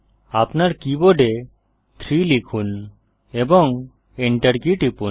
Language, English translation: Bengali, Type 3 on your keyboard and hit the enter key